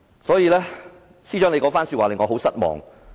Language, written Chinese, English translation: Cantonese, 所以，司長那番說話令我很失望。, Hence I am very disappointed at the Chief Secretarys remarks